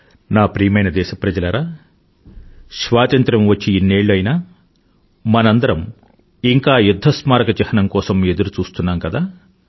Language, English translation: Telugu, My dear countrymen, the rather long wait after Independence for a War Memorial is about to be over